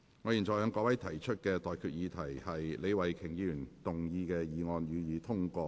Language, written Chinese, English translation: Cantonese, 我現在向各位提出的待決議題是：李慧琼議員動議的議案，予以通過。, I now put the question to you and that is That the motion moved by Ms Starry LEE be passed